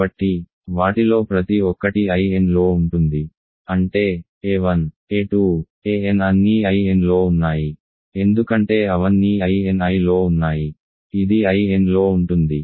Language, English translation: Telugu, So, each of them is contained in I n; that means, a 1, a 2, a n are all in I n because they are all in I n I which is further contained in I n